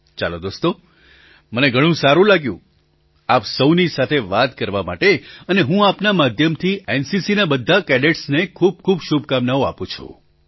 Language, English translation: Gujarati, Ok,friends, I loved talking to you all very much and through you I wish the very best to all the NCC cadets